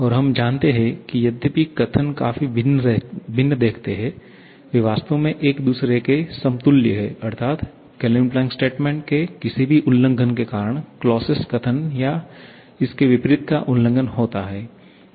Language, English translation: Hindi, And we know that though the statements look quite different, they are actually equivalent to each other that is any violation of the Kelvin Planck statement leads to violation of the Clausius statement or vice versa